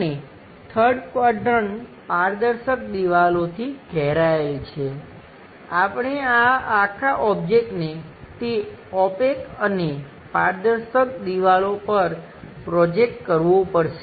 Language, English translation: Gujarati, And the 3rd quadrant bounded by transparent walls, we have to project these entire object onto those walls, opaque and transparent walls